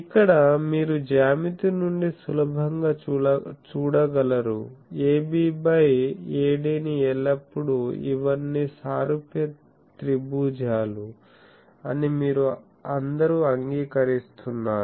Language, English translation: Telugu, So, here you can see easily that I can from geometry I can always write AB by AD is equal to AB by AD you all agree that these are all similar triangles